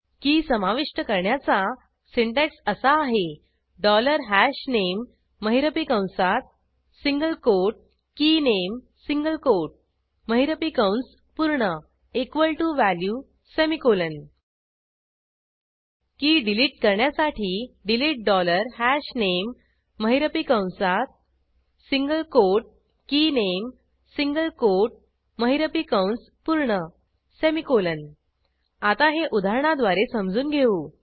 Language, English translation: Marathi, adding key is dollar hashName open curly bracket single quote KeyName single quote close curly bracket equal to $value semicolon deleting key is delete dollar hashName open curly bracket single quote KeyName single quote close curly bracket semicolon Now, let us understand this using a sample program